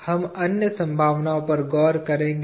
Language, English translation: Hindi, We will look at other possibilities